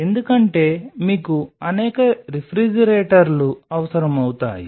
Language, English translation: Telugu, Because you will be needing multiple refrigerators